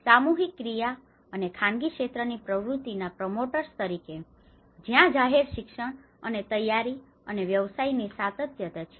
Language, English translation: Gujarati, As a promoters of the collective action and private sector activity that is where the public education and preparedness and business continuity